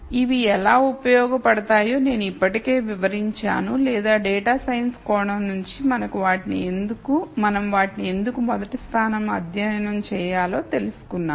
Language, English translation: Telugu, I already described how these are useful or why we should study them in the rst place from a data science perspective